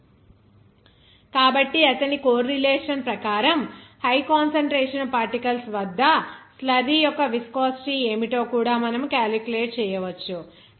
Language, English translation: Telugu, So according to his correlation, you can also calculate what would be the viscosity of the slurry at its high concentration of particles